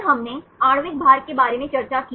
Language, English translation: Hindi, Then we discussed about molecular weight